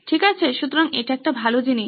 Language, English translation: Bengali, Okay, so that is a good thing